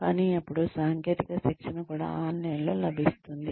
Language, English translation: Telugu, But then, technical training is also available online